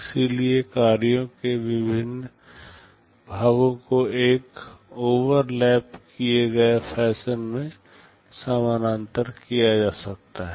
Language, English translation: Hindi, So, different parts of the tasks can be carried out in parallel in an overlapped fashion